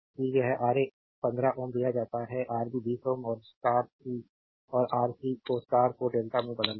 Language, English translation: Hindi, That it is Ra is given 15 ohm, Rb 20 ohm and Rc you have to convert star to delta